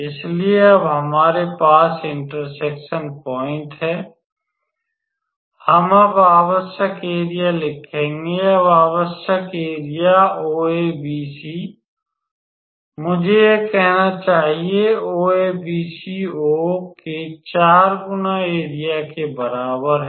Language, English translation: Hindi, So, now, that we have the point of intersection we will write now the required area now the required area is equals to 4 times area of I have named it OABC or so, let me say it OABCO